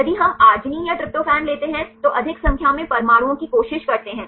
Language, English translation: Hindi, If we take arginine or tryptophan try to a more number of atoms